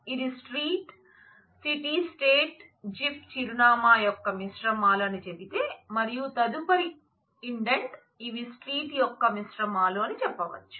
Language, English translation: Telugu, So, if this says that street city state zip are composites of address, and further indentation say, that these are composites of street